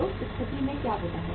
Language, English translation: Hindi, So in that case what happens